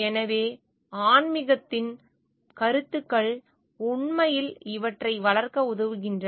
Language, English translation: Tamil, So, the ideas of spirituality actually helps to develop these things